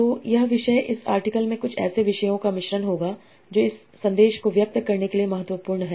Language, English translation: Hindi, So this topic, this article will blend some of the topics that are important to convey this message